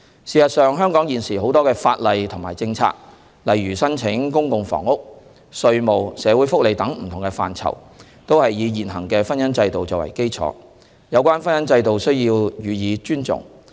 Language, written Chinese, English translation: Cantonese, 事實上，香港現時很多的法例和政策，例如申請公共房屋、稅務、社會福利等，都是以現行的婚姻制度作為基礎，有關婚姻制度必須予以尊重。, In fact a lot of laws and policies in Hong Kong such as the application for public rental housing tax matters social welfare benefits and so on are all based on the existing marriage institution